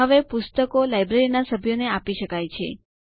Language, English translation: Gujarati, And books can be issued to members of the library